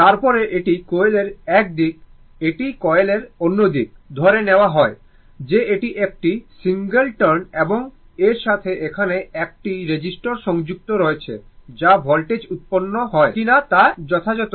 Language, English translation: Bengali, Then, this coil this is one side of the coil, this is other side of the coil assuming it is a single turn, right and with that one there is one resistor is connected here such that proper whether voltage is generated